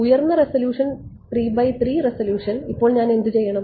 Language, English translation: Malayalam, Higher resolution 3 cross 3 resolution now what do I do